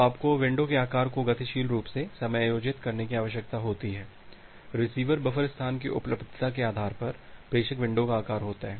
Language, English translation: Hindi, So, you need to dynamically adjust the window size; the sender window size based on the availability of the receiver buffer space